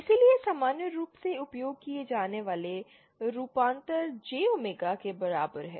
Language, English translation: Hindi, So, usual transformations that are used is S equal to J omega